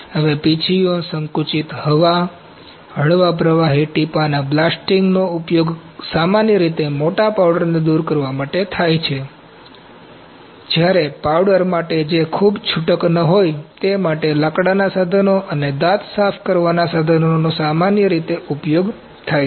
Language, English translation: Gujarati, Now, brushes, compressed air, light bead blasting are commonly used to remove loosely adult powder; 1 2 3 whereas, for powder that is not very loose woodworking tools and dental cleaning tools are commonly used